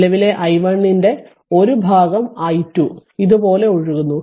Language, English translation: Malayalam, Now part from part of the current i 1 i 2 is flowing like this